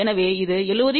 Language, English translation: Tamil, So, this will be then 70